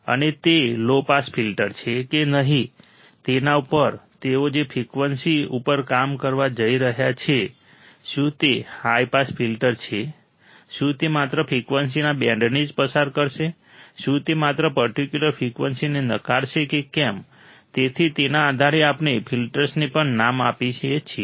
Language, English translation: Gujarati, And also based on the frequency they are going to operating at whether it is a low pass filter, whether it is a high pass filter, whether it will only pass the band of frequency, whether it will only reject a particular frequency, so depending on that we name the filters as well